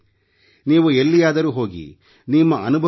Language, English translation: Kannada, Wherever you go, share your experiences, share photographs